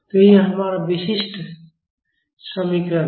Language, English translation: Hindi, So, this is our characteristic equation